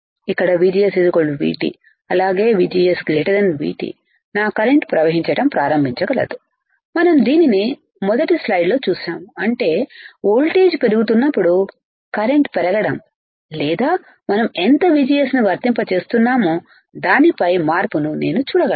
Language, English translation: Telugu, Where VGS equals to V T as well as VGS is greater than V T my current can start flowing we have seen this in the first slide right; that means, on increasing voltage, I can see change in increasing current or depending on how much VGS we are applying